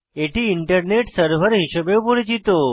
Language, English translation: Bengali, It is also known as Internet server